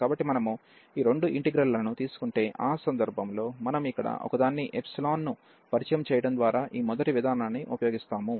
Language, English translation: Telugu, So, if we take these two integrals, in that case if we use this first approach by introducing only one epsilon here